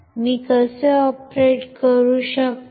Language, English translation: Marathi, How can I operate